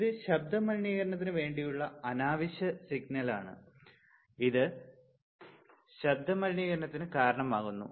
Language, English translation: Malayalam, But this is unwanted signal for the for the or this cause noise pollution right, this cause noise pollution